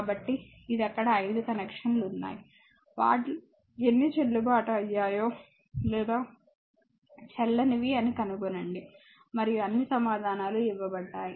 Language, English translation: Telugu, So, this is there are 5 connections there, you have to see that whether how many of them are valid or invalid right this is there are 5 connections and all answers are given